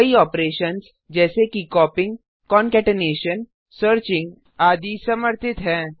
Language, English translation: Hindi, Various operations such as copying, concatenation, searching etc are supported